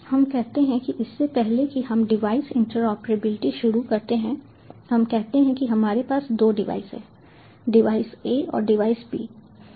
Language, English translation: Hindi, let us say that, even before we start with the device interoperability, let us say that we have, you know, two devices, device a and device b